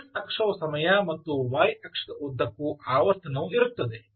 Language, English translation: Kannada, so x axis is the time and frequency is along the y axis